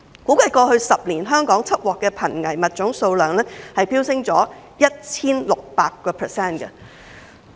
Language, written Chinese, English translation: Cantonese, 估計過去10年香港緝獲的瀕危物種數量飆升 1,600%。, It is estimated that the number of endangered species seized in Hong Kong has soared by 1 600 % over the past 10 years